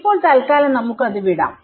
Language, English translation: Malayalam, Then let us leave that for now